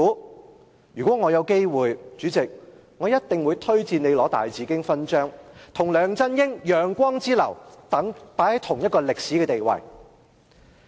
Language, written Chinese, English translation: Cantonese, 主席，如果我有機會，一定會推薦你去領大紫荊勳章，跟梁振英、楊光之流並列於同一個歷史地位。, If I had the chance President I would definitely recommend you for the Grand Bauhinia Medal so that you could stand on the same historical level as such dignitaries as LEUNG Chun - ying and YEUNG Kwong